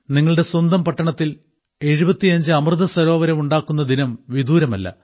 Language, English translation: Malayalam, The day is not far when there will be 75 Amrit Sarovars in your own city